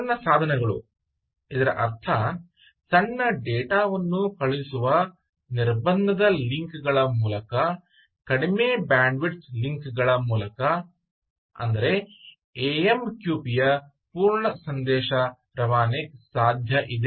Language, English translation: Kannada, its meant for small devices, small sending small data, small data over constraint links, right over low bandwidth links, over low bandwidth links, but amqp full messaging scenario is possible